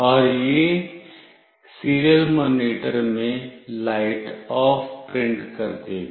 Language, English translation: Hindi, And it will print in the serial monitor “Light OFF”